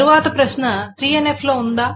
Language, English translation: Telugu, The question then comes, is it in 3NF